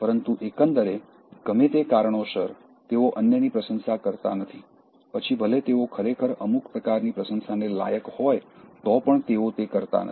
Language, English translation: Gujarati, But overall, for whatever reason it maybe, they don’t praise others, even when they really deserve some kind of appreciation, they don’t do that